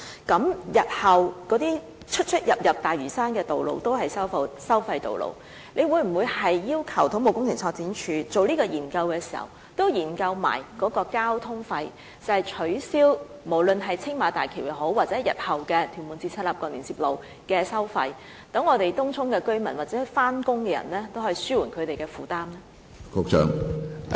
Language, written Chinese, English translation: Cantonese, 這意味日後所有連接大嶼山的道路全都是收費道路，政府會否要求土木工程拓展署在進行研究時，同時研究在交通費方面，可否取消青馬大橋收費，以及取消日後屯門至赤鱲角連接路的收費，以紓緩東涌居民或上班人士的交通費負擔呢？, This implies that all the roads linking Lantau in the future will be tolled roads . Will the Government request CEDD to look at the travelling expenses in the context of the studies to be undertaken to see whether or not the tolls for Tsing Ma Bridge and TM - CLKL can be scrapped so that the burden of travelling expenses on Tung Chung residents or employees can be alleviated?